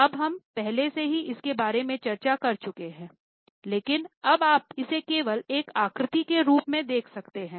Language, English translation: Hindi, Now we have already discussed it but now you can just see it in a form of a figure